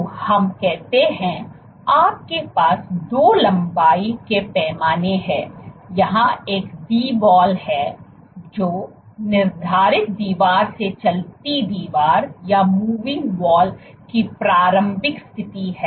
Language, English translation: Hindi, So, you have two length scales here one is Dwall, which is initial position of the moving wall from the fixed wall